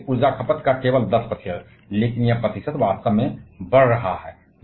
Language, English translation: Hindi, Only 10 percent of the global energy consumption, but this percentage is actually increasing